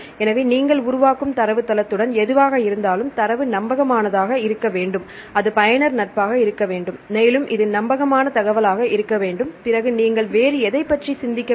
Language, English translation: Tamil, So, whatever with the database you develop, the data should be reliable that should be user friendly and this should be reliable information then what else you need to think about